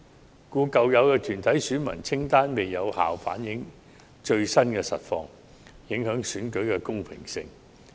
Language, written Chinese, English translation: Cantonese, 所以，舊有團體選民清單未能有效反映最新情況，影響選舉的公平性。, The old list of corporate electors may have failed to reflect the latest situation and hence undermine the fairness of election